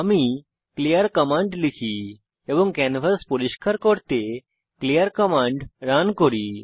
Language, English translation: Bengali, Let me type clear command and run clear command cleans the canvas